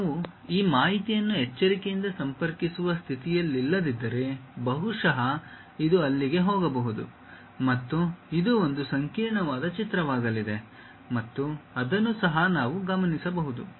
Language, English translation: Kannada, If we are not in a position to carefully connect this information maybe this one goes there, this one comes there, this one comes and it will be a complicated picture we will be having which might be observed also